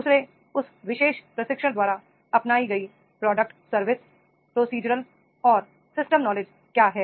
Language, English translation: Hindi, Second is what product service procedural and system knowledge is adopted by that particular during the training is there